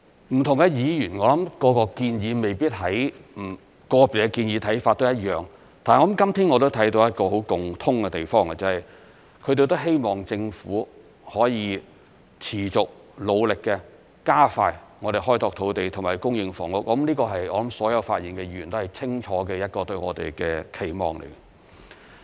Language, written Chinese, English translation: Cantonese, 不同議員對個別建議看法未必相同，但今天我見到一個共通的地方，便是希望政府可以持續、努力、加快開拓土地和供應房屋，這是所有發言議員對我們一個清楚的期望。, While different Members may not see eye to eye on individual proposals I noticed today they share the hope that the Government would continue to make efforts to expedite land development and increase housing supply . This is not only the expectation of the Members who have spoken on us but also the goal we have been striving to achieve